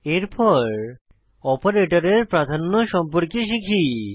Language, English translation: Bengali, Next, let us learn about operator precedence